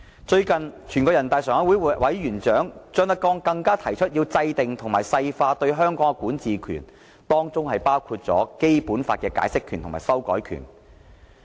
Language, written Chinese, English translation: Cantonese, 最近，全國人民代表大會常務委員會委員長張德江更提出要制訂和細化對香港的管治權，當中包括《基本法》的解釋權和修改權。, Recently ZHANG Dejiang Chairman of the Standing Committee of the National Peoples Congress NPCSC even proposed that the power of governance over Hong Kong should be clearly stated and specified including the power of interpretation and amendment of the Basic Law